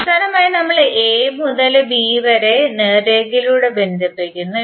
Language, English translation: Malayalam, Finally we are connecting a with to b through straight line